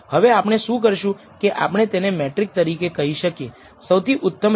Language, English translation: Gujarati, Now what we do is we can say as a metric, what is the best line